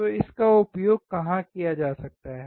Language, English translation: Hindi, So, where can it be used